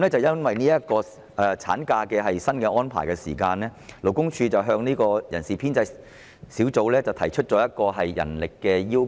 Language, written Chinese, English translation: Cantonese, 由於新的產假安排，勞工處向人事編制小組委員會提出增加人手的要求。, Due to the new ML arrangements the Labour Department raised a request with the Establishment Subcommittee for additional manpower